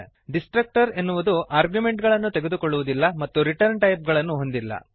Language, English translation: Kannada, A destructor takes no arguments and has no return types